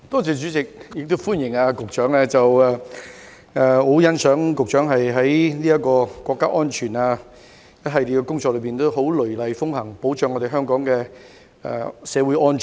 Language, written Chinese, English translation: Cantonese, 主席，我歡迎局長，亦很欣賞局長雷厲風行，落實維護國家安全的一系列工作，保障香港社會安全。, President I welcome and appreciate very much the Secretarys decisive actions to implement a series of measures to safeguard national security and social security in Hong Kong